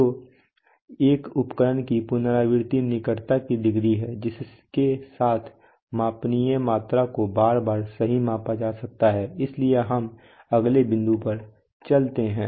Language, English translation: Hindi, So repeatability of an instrument is the degree of closeness with which a measurable quantity may be repeatedly measured right, so we go to the next one